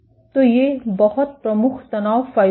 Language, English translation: Hindi, So, these are very prominent stress fibers